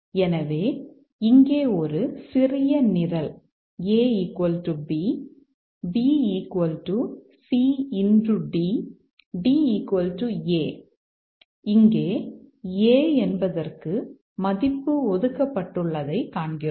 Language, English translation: Tamil, So, here given a small program, A equal to B, B equal to C into D, D equal to A, we see here that A is assigned a value here